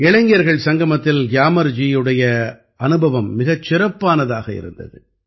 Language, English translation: Tamil, Gyamarji's experience at the Yuva Sangam was excellent